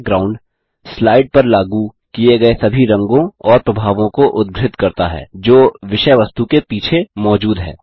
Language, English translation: Hindi, Background refers to all the colors and effects applied to the slide, which are present behind the content